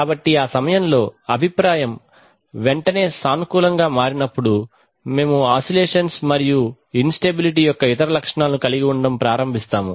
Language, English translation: Telugu, So it is when feedback turns positive immediately at that time we start having oscillations and other symptoms of instability